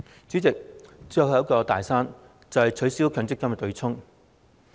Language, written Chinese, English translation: Cantonese, 主席，最後一座"大山"便是取消強積金對沖。, President the last big mountain is the abolition of the MPF offsetting mechanism